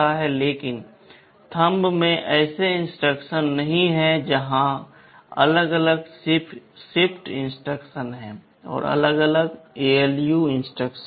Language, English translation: Hindi, But in Thumb such instructions are not there, here there are separate shift instructions, and there are separate ALU instructions